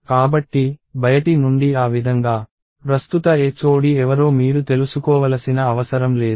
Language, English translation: Telugu, So, that way from outside, you do not have to know who the current HOD is